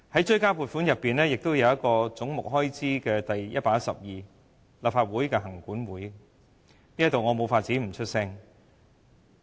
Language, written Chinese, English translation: Cantonese, 追加撥款開支總目第112項是立法會行政管理委員會，我無法不就此發聲。, Since Head 112 of the supplementary provisions refers to the Legislative Council Commission I must make my voice heard here